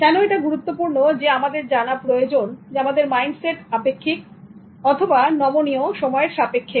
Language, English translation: Bengali, Why it is important that we need to know whether our mindset is relative or flexible in terms of time